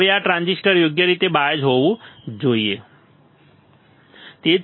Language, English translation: Gujarati, Now this transistor should be biased properly biased correctly, right